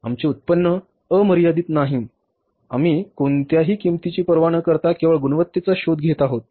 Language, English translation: Marathi, Our income is not unlimited that we are only looking for the quality irrespective of any price